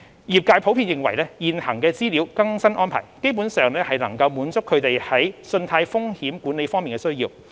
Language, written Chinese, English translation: Cantonese, 業界普遍認為現行的資料更新安排基本上能滿足他們在信貸風險管理方面的需要。, The trade generally considers that the current information updating arrangements can broadly fulfil its credit risk management needs